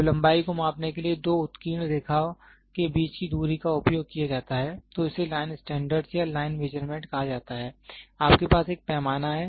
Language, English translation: Hindi, When the distance between two engraved line is used to measure the length, it is called as line standard or line measurement, you have a scale